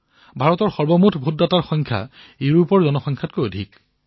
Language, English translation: Assamese, The total number of voters in India exceeds the entire population of Europe